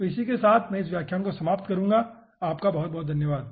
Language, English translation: Hindi, okay, so with this i will be ending this lecture, thank you